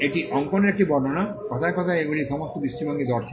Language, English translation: Bengali, This is a description of the drawing; in words they are all perspective view